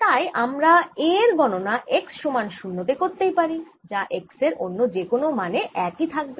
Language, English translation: Bengali, so i may as well calculate a at x equal to zero, which maybe the same as any at any other x